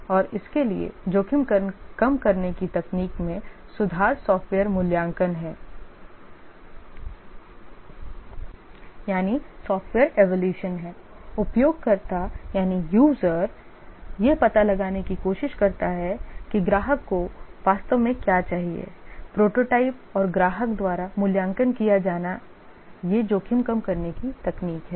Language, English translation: Hindi, And the risk reduction technique for this is improved software evaluation, user surveys trying to find out what exactly the customer needs prototyping and getting it evaluated by the customer these are the risk reduction techniques